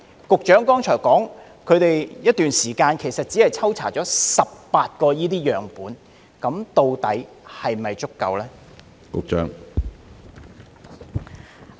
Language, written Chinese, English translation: Cantonese, 局長剛才說他們在一段時間內只抽查了18個樣本，究竟是否足夠？, The Secretary just said that within a period of time they had only tested 18 samples . Is that sufficient or not?